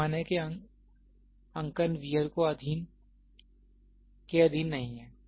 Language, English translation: Hindi, The marking of the scale are not subjected to wear